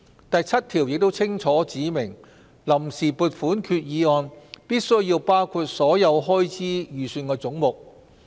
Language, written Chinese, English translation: Cantonese, "第7條亦清楚指明，臨時撥款決議案必需包括所有開支預算總目。, It is also stipulated in section 7 that the Vote on Account Resolution shall be arranged in accordance with the heads shown in the estimates of expenditure